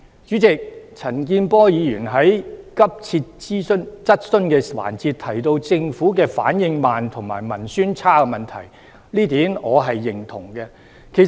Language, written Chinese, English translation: Cantonese, 主席，陳健波議員在急切質詢環節，提到政府反應慢及文宣差的問題，這點我是認同的。, President Mr CHAN Kin - por comments at the urgent question section that the Government is slow in making responses and poor in propaganda . I echo his comment